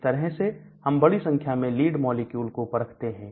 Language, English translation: Hindi, So, that is how I test out large number of lead molecules